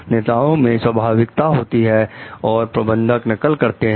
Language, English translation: Hindi, Leaders show originality; managers copy